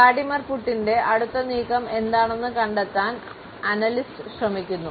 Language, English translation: Malayalam, As far the analyst trying to figure out what Vladimir Putin’s next move is